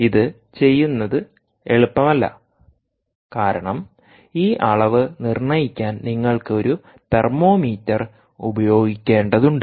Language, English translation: Malayalam, it wasnt easy to do this because you need to ah, use a thermometer, ah, ah thermometer to make this measurement